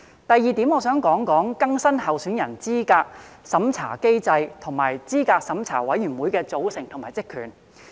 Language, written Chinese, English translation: Cantonese, 第二點，我想談談更新候選人資格審查機制，以及資審會的組成及職權。, Secondly I would like to talk about updating the candidate eligibility review mechanism as well as the composition and terms of reference of CERC